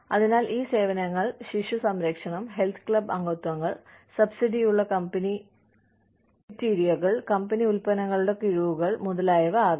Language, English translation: Malayalam, So, these services, could be childcare, could be health club memberships, could be subsidized company cafeterias, could be discounts on company products, etcetera